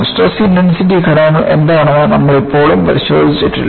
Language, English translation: Malayalam, You have still not looked at what are stress intensity factors